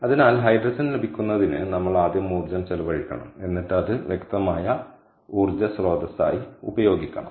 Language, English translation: Malayalam, so we have to spend energy first to get hydrogen and then use it as an energy source